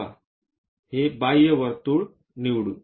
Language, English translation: Marathi, So, let us pick the outer circle, this one